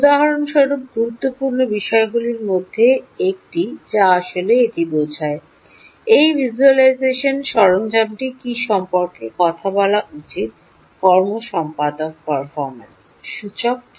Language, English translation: Bengali, one of the important things actually this refers this visualisation tool is supposed to do is to talk about key performance indicators